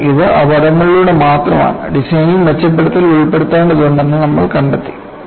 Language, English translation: Malayalam, It is only through accidents, you find improvements have to be incorporated on the design